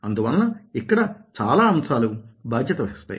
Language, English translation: Telugu, so so many factors are responsible